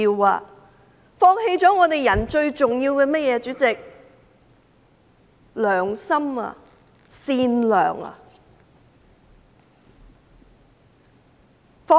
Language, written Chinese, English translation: Cantonese, 他們放棄了做人最重要的甚麼呢？, What is the most important thing they have given up in their lives?